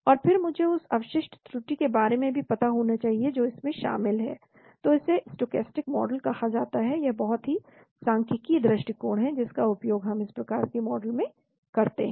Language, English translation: Hindi, And then I should also know idea about the residual error that is involved , so that is called stochastic model it is a very statistical approach we use in this type of a model